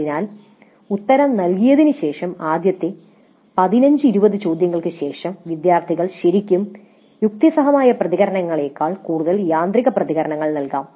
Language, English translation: Malayalam, So after answering maybe the first 15, 20 questions students might give responses which are more automatic rather than really reasoned out responses